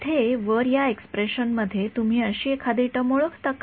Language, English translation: Marathi, Do you recognize a term like this up here somewhere in the expression above